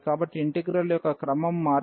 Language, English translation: Telugu, So, that is the change of order of integration